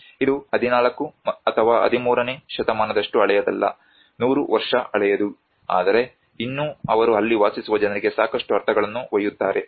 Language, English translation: Kannada, It is not very old like 14th or 13th century, there are hardly 100 year old but still they carry a lot of meanings to those people who live there